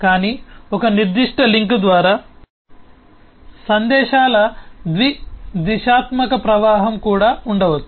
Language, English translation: Telugu, but there could also be bidirectional flow of messages over a particular link